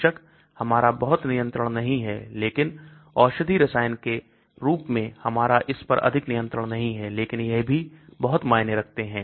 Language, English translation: Hindi, Of course, we do not have much control but as a medicinal chemist we do not have much control on this but these also matter a lot